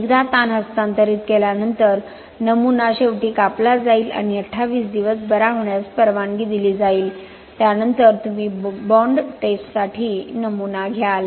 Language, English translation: Marathi, Once the stress is transferred specimen will be cut at the end and allowed to cure for 28 days, then you will take the specimen for bond testing